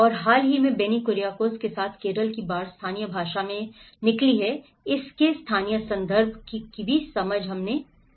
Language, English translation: Hindi, And the recent Kerala floods with Benny Kuriakose have derived in the local language, understanding the local context of it